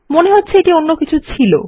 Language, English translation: Bengali, I think its something else